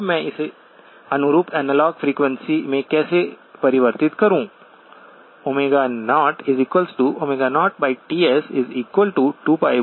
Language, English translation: Hindi, Now how do I convert it into the corresponding analog frequency